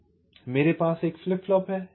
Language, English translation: Hindi, so so i have a flip flop